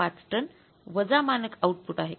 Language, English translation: Marathi, 5 tons minus what is the actual